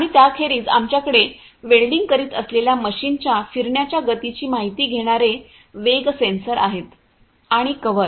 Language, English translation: Marathi, And apart from that, we have the speed sensors which senses the rotational speed of the machine doing the welding and the covers